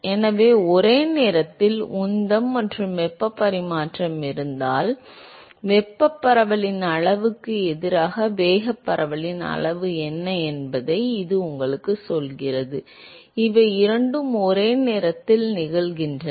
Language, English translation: Tamil, So, it tells you supposing if there is simultaneous momentum and heat transfer, it tells you, what is the extent of momentum diffusion versus the extent of thermal diffusion and both of these are happening simultaneously